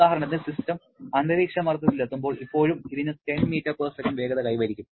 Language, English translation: Malayalam, Like say for example, when the system reaches the atmospheric pressure, still it is having some velocity of 10 meter per second